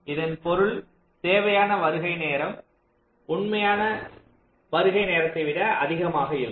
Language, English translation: Tamil, it means our required arrival time is larger than the actual arrival time